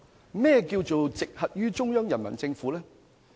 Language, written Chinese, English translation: Cantonese, 甚麼是"直轄於中央人民政府"？, What does it mean by coming directly under the Central Peoples Government?